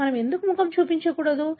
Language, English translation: Telugu, Why we should not show our face